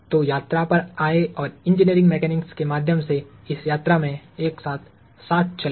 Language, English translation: Hindi, So, come onboard and let us ride together in this journey through Engineering Mechanics